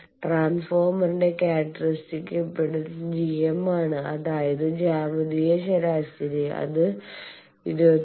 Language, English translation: Malayalam, And the characteristic impedance of the transformer is GM I said geometric mean, 22